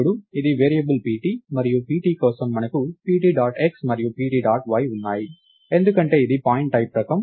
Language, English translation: Telugu, pt, and for pt you have pt dot x and pt dot y, because its of the type pointType